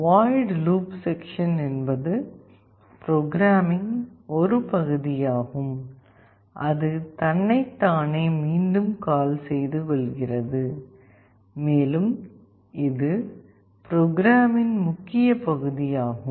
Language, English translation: Tamil, The void loop section is the part of the code that loops back onto itself and it is the main part of the code